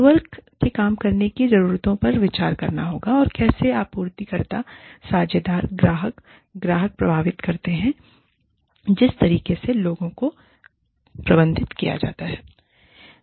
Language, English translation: Hindi, Networked working needs to consider, how suppliers, partner, clients, and customers, influence the way in which, people are managed